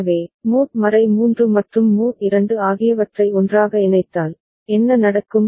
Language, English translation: Tamil, So, if mod 3 and mod 2 put together, what happens ok